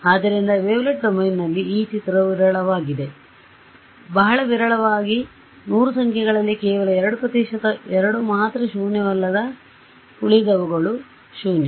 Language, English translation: Kannada, So, in the wavelet domain this image is sparse, very very sparse only 2 percent 2 out of 100 numbers are non zero rests are all zero right